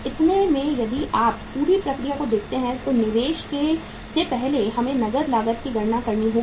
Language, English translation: Hindi, so in this if you look at the whole process, investment first we have to calculate the say cash cost